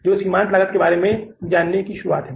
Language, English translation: Hindi, So let's understand what is the definition of the marginal cost